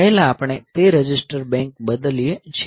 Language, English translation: Gujarati, First we change that register bank